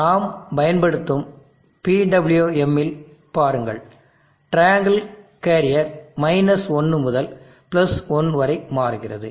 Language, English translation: Tamil, See in the PWM that we are using the triangle carrier is swinging from 1 to +1